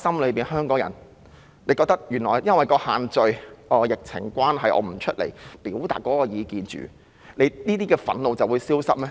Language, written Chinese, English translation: Cantonese, 在香港人心底裏，她以為因為限聚令和疫情關係，市民暫時不外出表達意見，這些憤怒便會消失嗎？, Does she think that the anger of Hong Kong people has disappeared when they stop expressing their views for the time being because of the social gathering restriction and the epidemic?